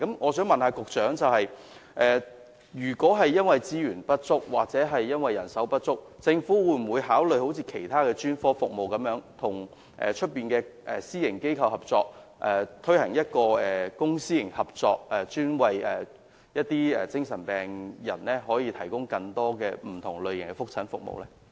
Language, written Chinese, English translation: Cantonese, 我想問局長，如果資源或人手不足，政府會否考慮好像其他專科服務般，與私營機構合作，推行公私營合作模式，為精神病人提供更多不同類型的覆診服務？, If resources and manpower are limited will the Government consider providing different kinds of follow - up consultation services for psychiatric patients in collaboration with private organizations through public - private partnerships as in the case of provision of other specialist services?